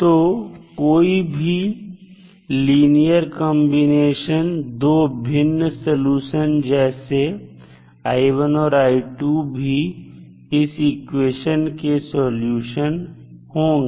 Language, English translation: Hindi, So, any linear combination of the 2 distinct solutions that is i1 and i2 is also a solution of this equation